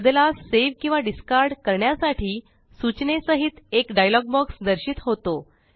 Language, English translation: Marathi, A dialog box with message Save or Discard changes appears